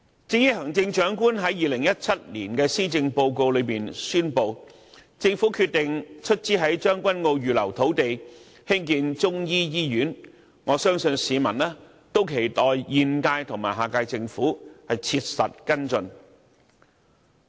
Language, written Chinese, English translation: Cantonese, 至於行政長官在2017年施政報告中宣布，政府決定出資在將軍澳預留土地興建中醫醫院，我相信市民都期待現屆和下屆政府切實跟進。, As for the Governments decision to finance the construction of a Chinese medicine hospital on a reserved site in Tseung Kwan O as announced by the Chief Executive in the 2017 Policy Address I believe the public expects concrete follow - up actions by the current - and next - term Governments